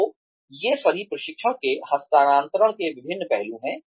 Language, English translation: Hindi, So, all of these are, different aspects of transfer of training